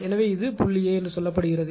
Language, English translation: Tamil, So, this is say point A right